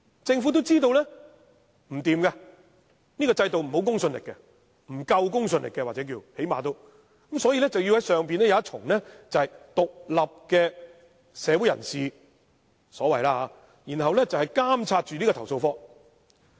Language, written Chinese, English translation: Cantonese, 政府也知道這樣不行，這個制度沒有公信力，又或是公信力不足，因此要在其上設立一個由所謂獨立社會人士組成的機構，以監察投訴警察課。, The Government also knows that it does not work . Such a system lacks credibility or its credibility is not enough . For this reason it is necessary to set up an organization on top of it comprising the so - called independent members of the community for monitoring CAPO